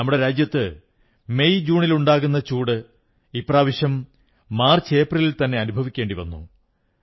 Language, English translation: Malayalam, The heat that we used to experience in months of MayJune in our country is being felt in MarchApril this year